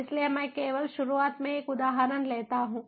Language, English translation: Hindi, so let me just take an example at the outset